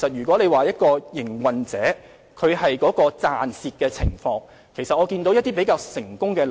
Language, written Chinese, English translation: Cantonese, 關於營運者的盈虧情況，我們也看到一些比較成功的例子。, Regarding the profit and loss situation of food trucks we have noticed some relatively successful examples